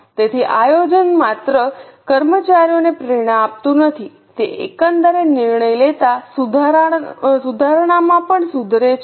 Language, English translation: Gujarati, So, planning not only motivates the employees, it also improves overall decision making